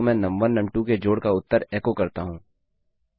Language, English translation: Hindi, So I echo out the answer of num1 added to num2